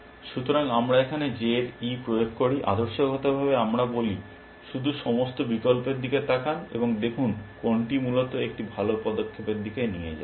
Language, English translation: Bengali, So, we apply e of J here, ideally we say just look at the all the options and see which one leads to a better move essentially